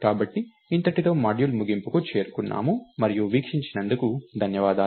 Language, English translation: Telugu, So, this brings us to the end of module and thanks for watching